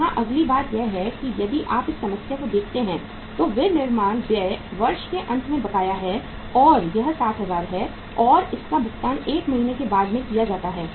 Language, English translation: Hindi, here next thing is the if you look at the problem here manufacturing expenses outstanding at the end of the year is 60,000 and these are paid 1 month in arrears